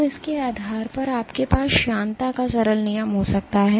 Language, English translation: Hindi, So, based on this you can have the simple law of viscosity